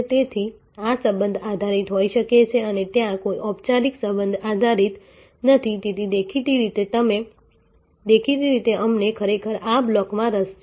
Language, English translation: Gujarati, So, there can be within this there can be a relationship based and there is no formal relationship based therefore obviously, we are actually interested in this block